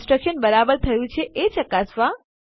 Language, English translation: Gujarati, To verify that the construction is correct